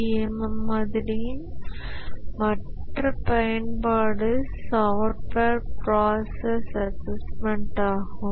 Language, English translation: Tamil, The other use of the CMM model is software process assessment